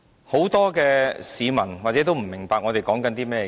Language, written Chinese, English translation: Cantonese, 很多市民或許不明白我們在說甚麼。, I guess many people may not understand what I mean